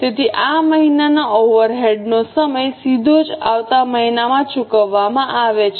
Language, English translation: Gujarati, So, these months overrides are period just paid in the next month directly